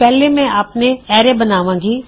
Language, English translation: Punjabi, First I will create my own array